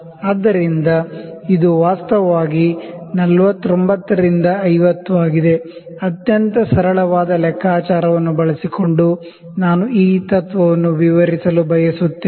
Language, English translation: Kannada, So, this is actually 49 to 50, I will like to explain this principle by using a most simple calculation